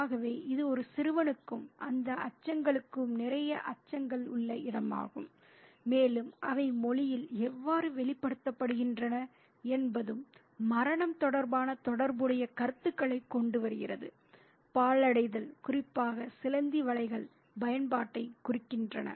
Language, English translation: Tamil, So, it is this place of a lot of fears for a young boy and those fears and how they are expressed in the language also bring about a related set of notions about death, desolation, especially spider webs indicate disuse